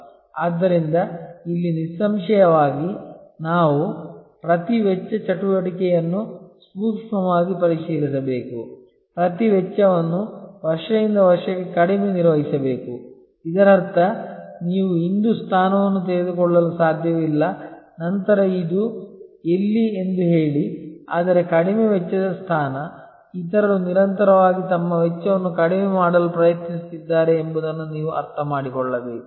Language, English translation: Kannada, So, here; obviously, we have to scrutinize each cost activity, manage each cost lower year after year; that means, it is not you cannot take a position today then say this is LC, but a Low Cost position, you have to understand that others are constantly trying to lower their cost